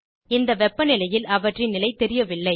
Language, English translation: Tamil, Their state is unknown at that Temperature